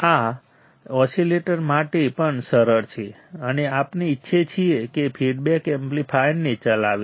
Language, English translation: Gujarati, This is also easy for the oscillator and what we want is that the feedback should drive the amplifier